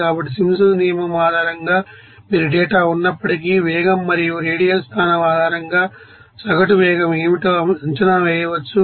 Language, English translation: Telugu, So, based on the Simpsons rule you can estimate what is the average velocity based on the velocity versus radial position of despite data